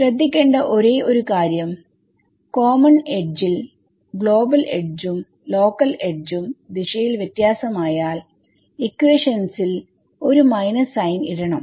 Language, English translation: Malayalam, So, the only thing I have to take care of is that on the common edge if the global and the local edges differ by a direction and I have to add a minus sign in the equations ok